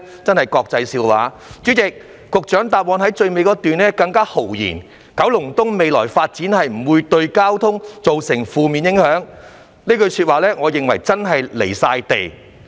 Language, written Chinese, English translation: Cantonese, 主席，局長在主體答覆的最後一段中更豪言，"九龍東未來發展不會對交通造成負面影響"，我認為這句說話真的很"離地"。, President the Secretary has even said proudly in the last paragraph of his main reply that the future developments in Kowloon East will not result in adverse traffic impact . I find this statement extremely disconnected with the reality indeed